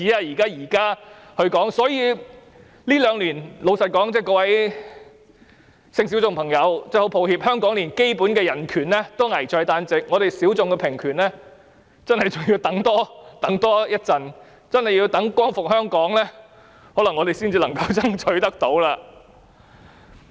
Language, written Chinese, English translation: Cantonese, 所以，各位性小眾朋友，真的很抱歉，香港這兩年連基本人權也危在旦夕，性小眾平權真的還要多等一會，可能真的要待光復香港，才能夠爭取得到。, As such members of sexual minority groups I really have to say apologetically that when even fundamental human rights are at stake in Hong Kong in these two years or so we need really wait a longer time for equal rights for sexual minorities . It is possible that only when Hong Kong is liberated can we succeed in getting what we are fighting for